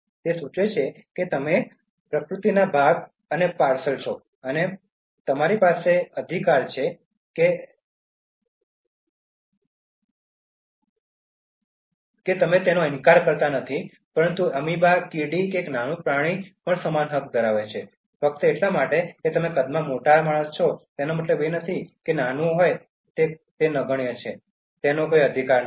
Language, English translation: Gujarati, It suggests that you are part and parcel of nature and you have right, nobody denies that, but in the same way an amoeba, an ant, a small creature has equal right, just because you are a man so big in size doesn’t mean that something that is so small, tiny and negligible in size does not have any right